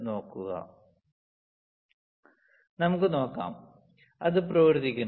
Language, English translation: Malayalam, So, let us see; it is working